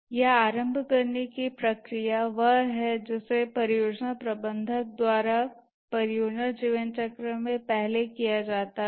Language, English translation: Hindi, The initiating processes, this is the one that is carried out by the project manager first in the project lifecycle